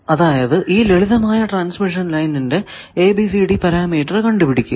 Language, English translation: Malayalam, You are given a simple transmission line, find the ABCD parameter